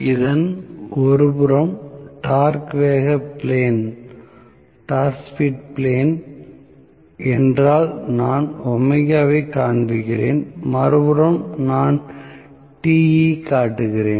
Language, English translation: Tamil, If this is the torque speed plane on one side I am showing omega on other side I am showing Te